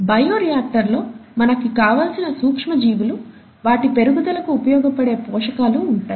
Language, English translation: Telugu, And, in the bioreactor, you have the micro organism of interest, along with the nutrients for it to grow and make the product